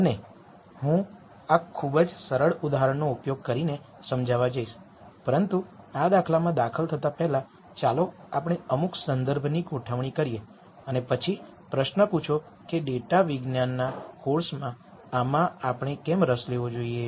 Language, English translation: Gujarati, And I am going to explain this using a very simple example, but before we dive into this example let us set some context and then ask the question as to why we should be interested in this in a course on data science